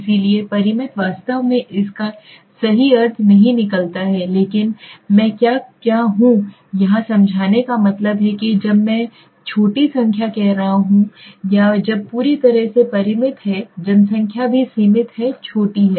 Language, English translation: Hindi, So finite actually does not make the true meaning out of it but what I want to explain here is finite means when I am saying a small number of or when the entire population is also finite is limited is small rather you can say